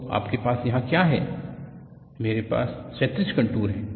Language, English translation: Hindi, So, what you have here is I have horizontal contours